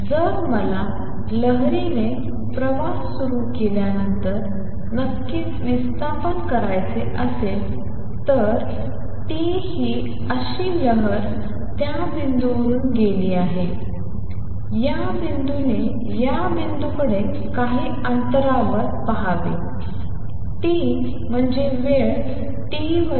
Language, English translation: Marathi, So, if I want to see displacement after the wave has started travelling of course, t is such wave has passed through that point this point it look at this points some distance away at time t is the displacement would be what it was at x equal to 0 time t minus x over v